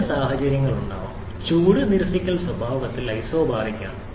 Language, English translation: Malayalam, In both cases, heat rejection is isobaric in nature